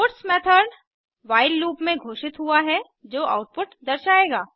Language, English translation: Hindi, The puts method is declared within the while loop will display the output